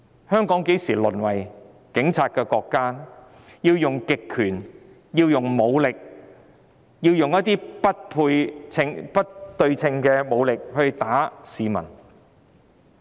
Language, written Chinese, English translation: Cantonese, 香港何時淪為警察國家，要運用不對稱的武力毆打市民？, When has Hong Kong degenerated into a police state in which people are beaten up with unequal force?